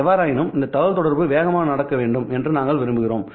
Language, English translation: Tamil, However, we want this communication to happen rather fast